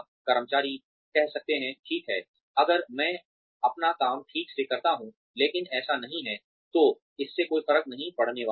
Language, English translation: Hindi, Employees may say, okay, well, if I do my work properly, but so and so does not, it is not going to make a difference